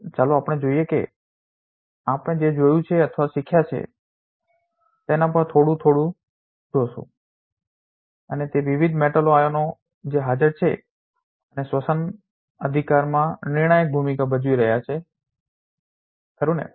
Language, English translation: Gujarati, So, let us first look at what we have seen or learned may have already a little bit and that is these are different metal ions that is present and playing a crucial role in respiration right